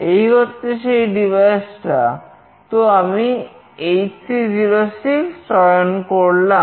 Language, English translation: Bengali, This one is the pair device, so I will just select HC 06